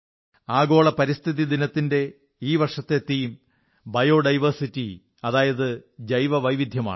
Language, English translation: Malayalam, The theme for this year's 'World Environment Day' is Bio Diversity